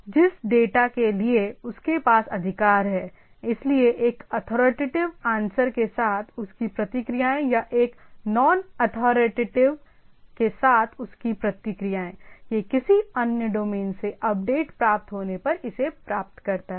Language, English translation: Hindi, So, the data for which it has the authority, so it its responses with a authoritative answer or it responses with a non authoritative, it get it if it gets update from somebody other domain